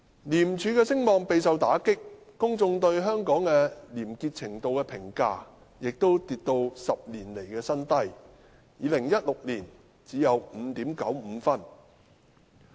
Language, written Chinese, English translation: Cantonese, 廉署的聲望備受打擊，公眾對香港廉潔程度的評價亦跌至10年來的新低 ，2016 年只有 5.95 分。, While the reputation of ICAC has been dealt a hard blow the publics appraisal of the degree of corruption - free practices in Hong Kong has likewise dropped to a new low in a decade with a score of 5.95 in 2016